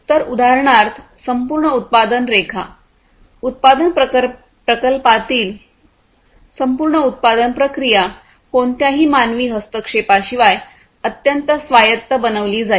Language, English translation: Marathi, So, the entire product line, the entire production process in a manufacturing plant, for example, would be made highly autonomous without any human intervention, ok